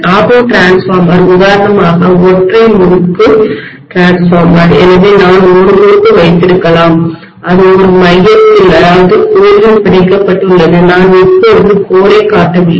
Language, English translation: Tamil, Auto transformer is for example a single winding transformer, so I may just have a winding which is bound on a core, I am not showing the core right now